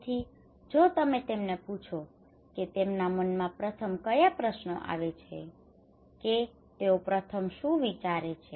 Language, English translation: Gujarati, So if you ask them what questions will come first in their mind what will they think first